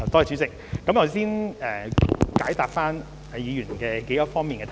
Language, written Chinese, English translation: Cantonese, 主席，我先解答議員數方面的質詢。, President let me reply to the several aspects raised in the Members supplementary question